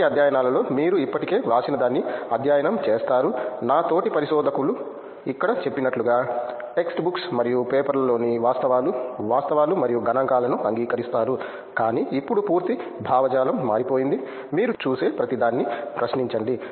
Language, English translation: Telugu, Not just that in the previous studies you will be studying something that is already written, just like my fellow researchers told here will be just accepting that facts, facts and figures in the text books and the papers, but now that complete ideology have change to question everything that you see